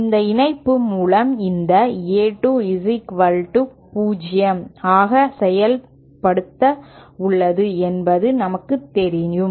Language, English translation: Tamil, We know this A 2 has been made equal to 0 by this connection